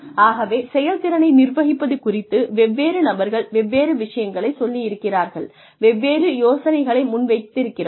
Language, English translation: Tamil, So, various people have said various things, have proposed various ideas regarding, managing performance